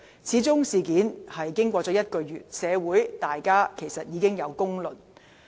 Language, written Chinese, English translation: Cantonese, 事件由揭發至今已1個月，社會大眾已有公論。, Given that the incident has been uncovered for a month the community at large have already made their judgments